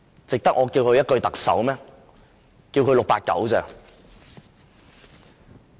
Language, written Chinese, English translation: Cantonese, 值得我叫他一聲特首嗎？, Does he deserve to be called Chief Executive?